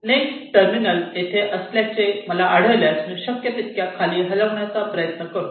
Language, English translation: Marathi, if i see that my next terminal is here, i try to move it below, down below, as much as possible